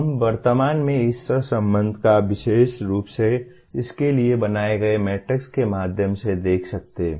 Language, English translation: Hindi, We will presently see this correlation can be seen through a matrix specifically created for this